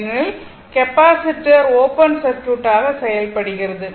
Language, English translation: Tamil, So, capacitor was at open circuited